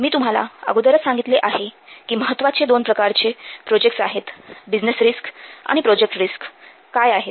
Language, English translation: Marathi, I have already told you that there are two kinds of important projects, business risks and what are the project risks